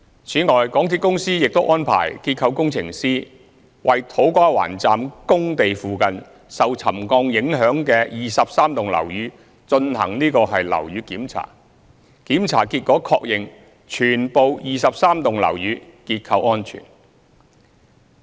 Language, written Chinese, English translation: Cantonese, 此外，港鐵公司亦安排註冊結構工程師，為土瓜灣站工地附近受沉降影響的23幢樓宇進行樓宇檢查，檢查結果確認全部23幢樓宇結構安全。, Besides MTRCL had arranged inspections of 23 buildings affected by settlement near the works sites of To Kwa Wan Station by registered structural engineers . The result confirmed that all the 23 buildings were structurally safe